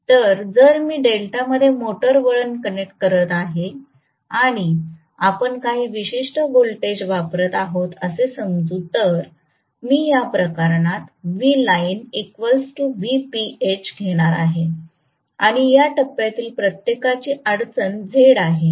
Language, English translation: Marathi, So, if I am connecting the motor winding in delta and let us say I am applying certain voltage, I am going to have in this case V line equal to V phase right and let us say the impedance of each of this phase is Z right